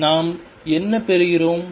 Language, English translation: Tamil, So, what we are getting